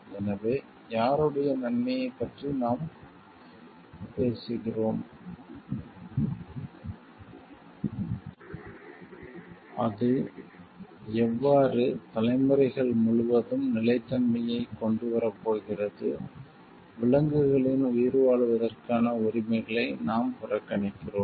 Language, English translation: Tamil, So, whose benefit are we talking of, how is it is it going to bring like sustainability throughout the generations, are we ignoring the rights of the animals to survive